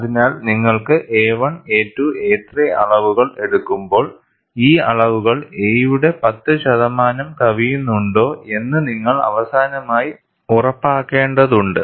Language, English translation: Malayalam, So, when you make the measurements a 1, a 2, a 3, you have to ensure, finally, whether these measurements exceed 10 percent of a